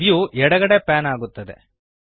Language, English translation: Kannada, The view pans to the left